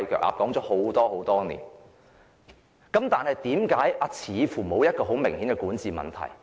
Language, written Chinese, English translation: Cantonese, 我們這樣說了很多年，但香港似乎沒有明顯的管治問題？, We have been making such remarks for many years but is it true that there are apparently no obvious governance problems in Hong Kong?